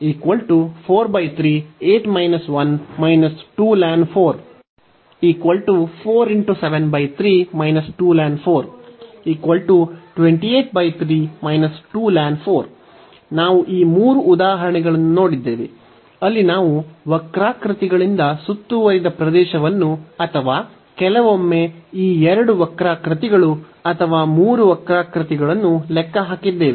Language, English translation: Kannada, So, we have seen these 3 examples, where we have computed the area bounded by the curves or sometimes these two curves or the 3 curves